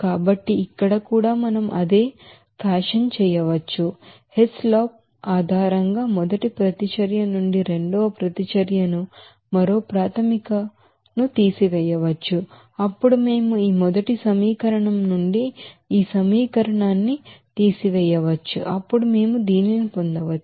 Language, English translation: Telugu, So here also we can do the same fashion based on that Hess law that subtracting the second reaction from the first reaction on one more basis, then we can have this here just subtracting this equation from this first equation, then we can get this